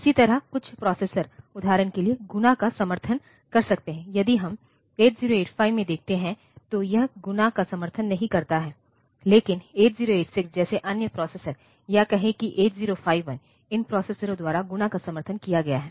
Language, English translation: Hindi, So, some processors may support multiplication for example, if we look into 8085 it does not support multiplication, but if you go to other processors like 8086 or say when 8051, so, those processors, you will find that multiplication is supported there